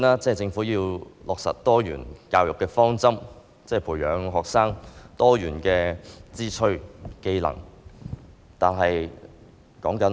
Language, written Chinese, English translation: Cantonese, 政府要落實多元教育的方針，培養學生多元的志趣和技能。, The Government needs to implement the strategy on diversified education and cultivate diverse interests and skills in students